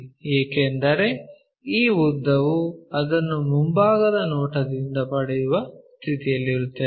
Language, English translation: Kannada, Because this length we will be in a position to get it from the front view